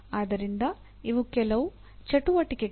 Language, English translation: Kannada, So these are some of the activities